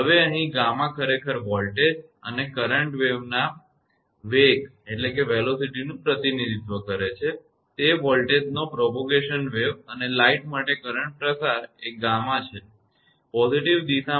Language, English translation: Gujarati, Now here gamma actually represent the velocity of the voltage and current wave, that is propagation velocity of voltage and current propagation along the line this is the gamma right; in the positive direction